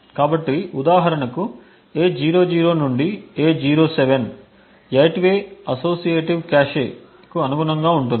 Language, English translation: Telugu, So, this for example A00 to A07 is an 8 way corresponds to the 8 way associative cache